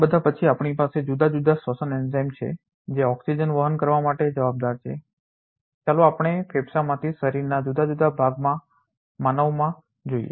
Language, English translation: Gujarati, Over all then we have different respiratory enzyme which is responsible for carrying oxygen from let us say in a human from the lungs to different part of the body